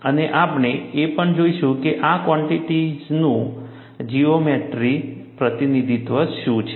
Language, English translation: Gujarati, And we will also see, what is a geometric representation of these quantities